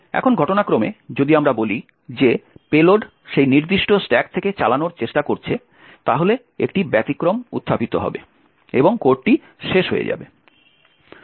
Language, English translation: Bengali, Now by chance if let us say the payload is trying to execute from that particular stack then an exception get raised and the code will terminate